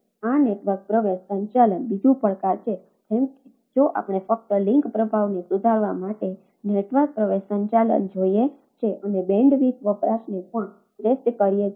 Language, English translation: Gujarati, ah like a if we see a network access management only to improve link performance and also optimizes bandwidth usage